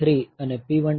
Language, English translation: Gujarati, 3 and 1